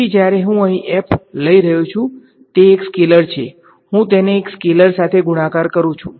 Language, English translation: Gujarati, So, when I took f over here it is a scalar I am multiplying it by a scalar right